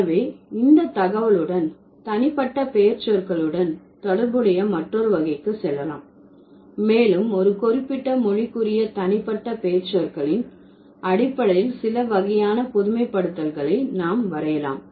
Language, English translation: Tamil, So, with this information, let's move to another category which is related to the personal pronouns and we can draw certain kind of generalizations based on the personal pronouns that a particular language has